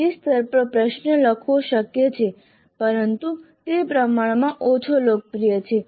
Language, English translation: Gujarati, It is possible to compose a question at apply level but that is relatively less popular